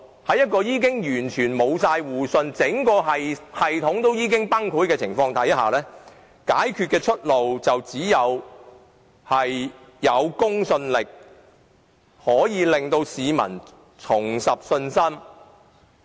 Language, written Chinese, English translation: Cantonese, 在一個已完全失去互信、整體崩潰的系統下，解決問題的出路便只有靠提高公信力才能令市民重拾信心。, Under a totally collapsed system with complete loss of mutual trust the only solution to the problem is enhancing credibility in order that peoples confidence can be restored